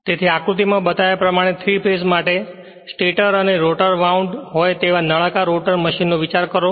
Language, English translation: Gujarati, So, consider a cylindrical rotor machine with both the stator and rotor wound for 3 phase as shown in figure right